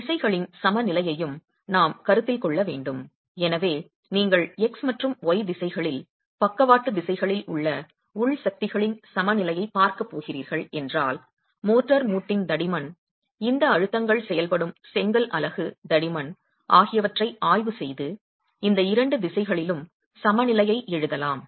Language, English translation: Tamil, So if you're going to be looking at an equilibrium of internal forces in both the x and the y directions, the lateral directions, we can examine the thickness of the motor joint, the thickness of the brick unit over which these stresses are acting and write down the equilibrium in these two directions